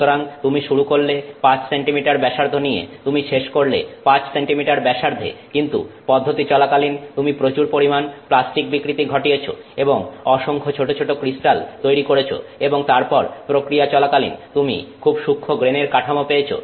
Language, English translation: Bengali, So, you started with 5 cm radius, you finished with 5 centimeter radius but in the process you have done lot of plastic deformation and you know created lot of small crystals and then in the process you have a very fine grain structure